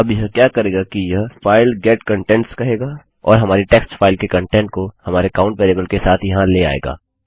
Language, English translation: Hindi, Now what this will do is it will say file get contents and it will get the contents of our text file with our count variable in there